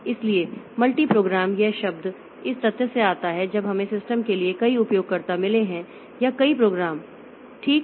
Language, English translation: Hindi, So, multi programmed this term comes from the fact when we have got multiple users for the system or multiple programs